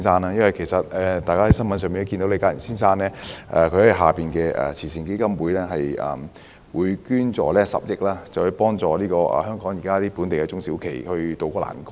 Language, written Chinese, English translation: Cantonese, 大家從新聞報道中應已得悉，李嘉誠先生旗下的基金會，捐助10億元幫助香港本地中小型企業渡過難關。, We should have learnt from the news coverage . The LI Ka Shing Foundation LKSF will donate 1 billion to help local small and medium enterprises SMEs to tide over this difficult time